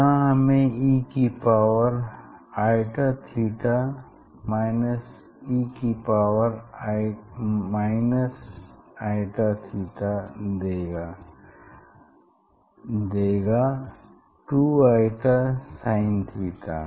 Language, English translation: Hindi, here we are getting this e to the power i theta minus e to the power minus i theta, so that gives 2 i sin term, 2 i sin term theta